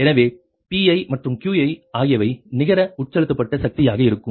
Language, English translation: Tamil, so make it like this, that pi and qi will be the net injected power, right